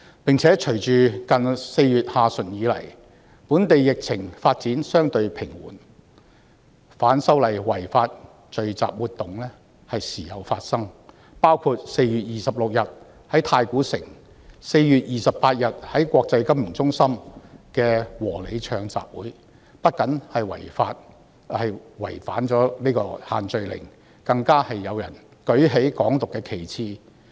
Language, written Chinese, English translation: Cantonese, 再者，隨着4月下旬以來，本地疫情發展相對平緩，反修例違法聚集活動時有發生，包括4月26日在太古城及4月28日在國際金融中心的"和你唱"集會，不僅違反"限聚令"，更有人舉起"港獨"的旗幟。, Furthermore as the epidemic gradually receded in Hong Kong in late April unlawful rallies arising from the opposition to the proposed legislative amendments were seen from time to time including the Sing with you rallies that took place in Taikoo Shing on 26 April and in the International Finance Center on 28 April . Not only were these rallies in breach of the group gathering restrictions the banner of Hong Kong independence were also held up